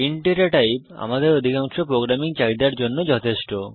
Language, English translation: Bengali, The Data type int is enough for most of our programming needs